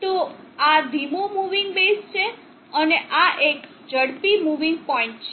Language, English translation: Gujarati, So this is a slow moving base, and this is a fast moving point